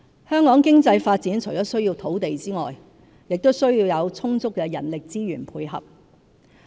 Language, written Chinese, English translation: Cantonese, 香港經濟發展除了需要土地外，也須有充足的人力資源配合。, Our economic development requires land as well as adequate manpower resources